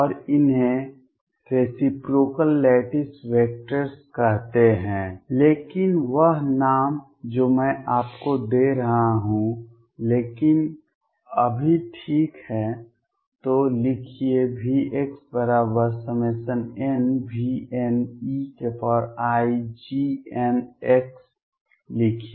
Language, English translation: Hindi, And these are called as reciprocal lattice vectors, but that just name I am giving you, but right now let just then therefore, write V x equals summation n v n e raise to i G n x